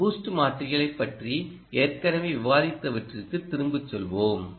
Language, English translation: Tamil, go back to what we will be discussing, what we have already discussed with respect to boost converters